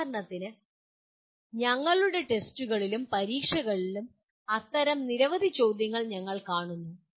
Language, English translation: Malayalam, For example we come across many such questions in our tests and examinations